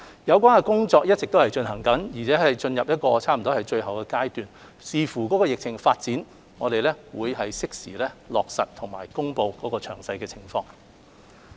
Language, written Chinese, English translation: Cantonese, 有關的工作正一直進行，而且已差不多進入最後階段，視乎疫情發展，我們將適時落實及公布詳情。, The preparatory work has been ongoing and has reached its final stage and subject to the epidemic situation we will implement and announce the details in due course